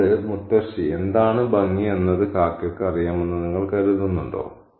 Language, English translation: Malayalam, Do you think the crow knows what is pretty